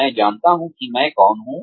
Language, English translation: Hindi, I know, who I am